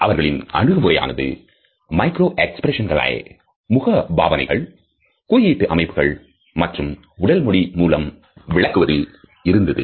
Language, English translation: Tamil, Their methodology is to interpret micro expressions through facial action, coding system as well as other aspects of body language